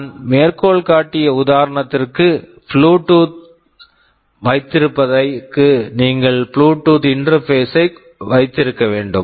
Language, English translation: Tamil, Just for the example I cited, for having Bluetooth you need to have a Bluetooth interface